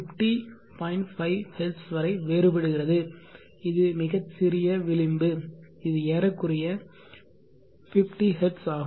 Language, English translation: Tamil, 5 Hz which is a very small margin it is more or less 50Hz